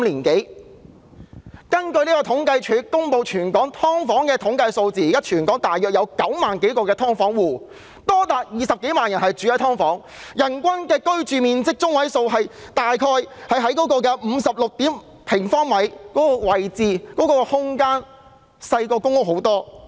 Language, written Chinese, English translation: Cantonese, 根據政府統計處公布的全港"劏房戶"統計數字，現時全港約有9萬多個"劏房戶"，即是有多達20多萬人居住在"劏房"，人均居住面積中位數只有約56平方呎，比公屋擠迫和細小得多。, According to the statistics published by the Census and Statistics Department for tenants of subdivided units there are currently about 90 000 - odd households living in subdivided units in the territory meaning that as many as over 200 000 people are living in this kind of housing which is much more crowded and cramped than public housing as their median per capita living area is about 56 sq ft only